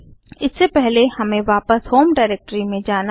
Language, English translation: Hindi, Remember that we are in the home directory